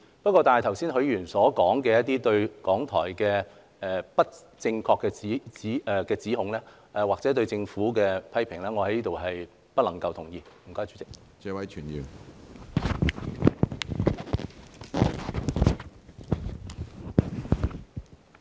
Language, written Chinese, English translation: Cantonese, 不過，許議員剛才對於港台作出的不正確指控，或對政府的批評，我在此表示不能同意。, However I do not agree with the false accusations made by Mr HUI just now against RTHK or the criticisms he levelled at the Government either